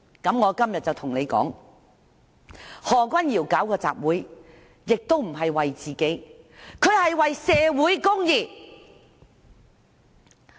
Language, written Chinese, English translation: Cantonese, 我今天就要對你們說，何議員舉辦集會亦不是為自己，而是為社會公義。, I want to tell you today that Dr HO staged the rally not for himself; instead it was for social justice